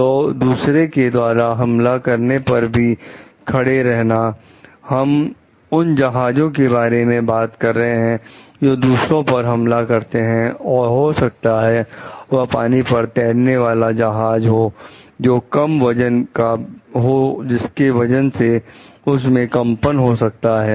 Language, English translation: Hindi, So, and withstand attacks by maybe other, we were talking about for ships attacking other maybe if it is over water like ships passing below weight and there is a vibration